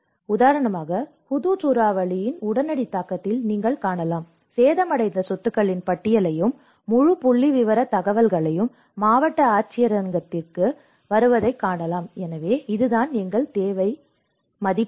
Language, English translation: Tamil, Like for example, you can see in the immediate impact of the cyclone Hudhud, you can see the list of property damaged and the whole statistical information come to the district collectorate, so this is what our needs assessment is all about